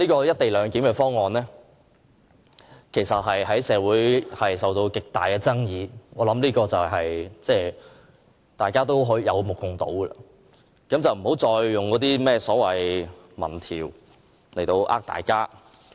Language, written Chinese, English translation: Cantonese, "一地兩檢"方案其實在社會引起極大爭議，我相信這已是有目共睹，不要再以那些甚麼民調欺騙大家。, The co - location arrangement has aroused great controversies in society . I think this is already so obvious that no one should still resort to any so - called opinion polls to deceive the public